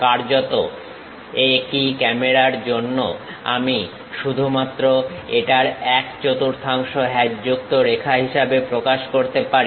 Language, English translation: Bengali, In fact, for the same camera I can only represent this one fourth quarter of that as hatched lines